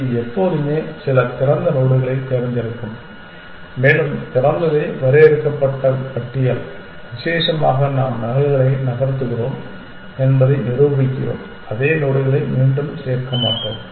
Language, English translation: Tamil, It will always pick node some open and open is the finite list specially given the fact that we are prove we are moving the duplicates we are never adding the same nodes again